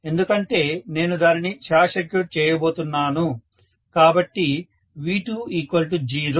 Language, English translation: Telugu, Because I am going to short circuit it V2 become 0